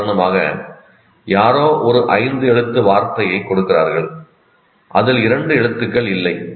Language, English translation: Tamil, For example, somebody gives you a word, a five letter word, in which two letters are missing